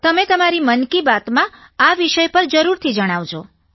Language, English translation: Gujarati, Please speak about this on Mann ki Baat